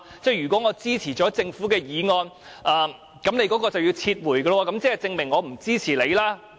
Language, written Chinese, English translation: Cantonese, 如果我支持政府的修正案，你便要撤回修正案，那豈不是說我不支持你？, If I support the Governments amendments you would have to withdraw yours and in that case does it not mean that I do not support you?